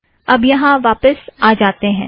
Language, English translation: Hindi, Now lets go back here